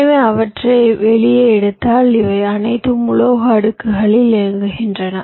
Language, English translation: Tamil, so if you take them out, these are all running on metal layers